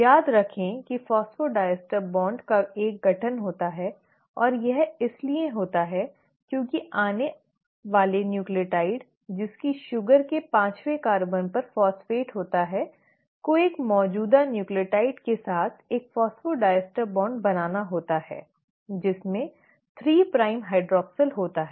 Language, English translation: Hindi, Remember there is a formation of phosphodiester bond and this happens because the incoming nucleotide, which is, has a phosphate at its fifth carbon of the sugar has to form a phosphodiester bond with an existing nucleotide having a 3 prime hydroxyl